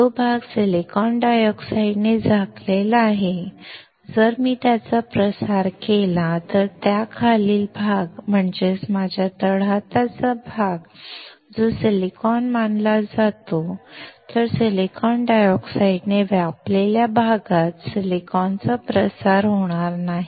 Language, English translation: Marathi, The area which is covered by silicon dioxide if I diffuse it then the area below it, that is, my palm area that is considered as silicon, then the silicon will not get diffused in the area covered by silicon dioxide